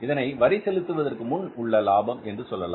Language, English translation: Tamil, This is net profit before tax you can say